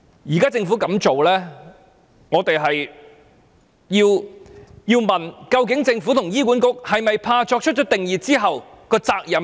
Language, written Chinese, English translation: Cantonese, 對於政府現時的做法，我們不禁要問，政府和醫管局是否擔心作出定義後引發的責任？, Regarding the present approach of the Government we cannot help but ask whether the Government and HA are worried about the responsibility they have to take after laying down a definition